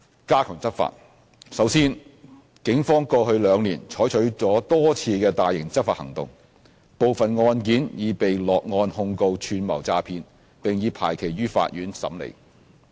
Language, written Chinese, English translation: Cantonese, a 加強執法首先，警方過去兩年採取了多次大型執法行動。部分案件已被落案控告"串謀詐騙"，並已排期於法院審理。, a Enhanced enforcement To begin with over the past two years the Police have launched a number of large - scale enforcement operations and laid charges of conspiracy to defraud in some cases which are now pending hearing in court